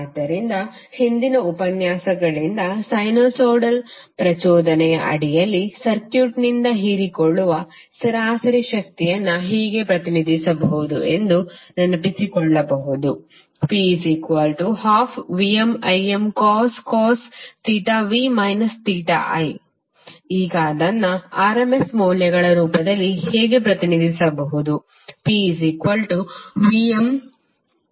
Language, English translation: Kannada, So now from the previous lectures we can recollect that the average power absorbed by a circuit under sinusoidal excitation can be represented as P is equal to 1 by 2 VmIm cos theta v minus theta i